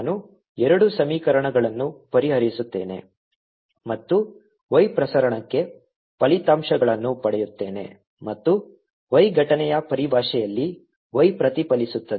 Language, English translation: Kannada, i solve the two equations and i'll get results for y transmitted and y reflected in terms of y incident